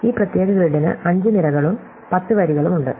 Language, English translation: Malayalam, This particular grid has got 5 columns and 10 rows